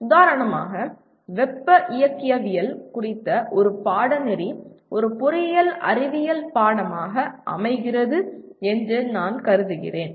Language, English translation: Tamil, Like for example a course on thermodynamics I would consider it constitutes a engineering science course